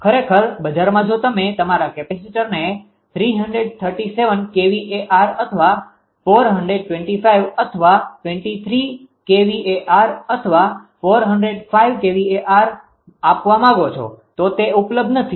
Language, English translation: Gujarati, Actually in market if you ask for a give your capacitor of 337 kilowatt or 425 twenty 3 kilowatt or 405 kilowatt, it is not available